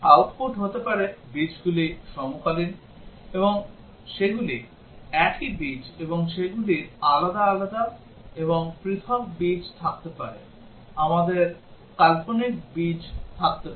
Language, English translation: Bengali, The output may be the roots are coincident, and they are the same roots and they we might have distinct roots distinct and real roots, we might have imaginary roots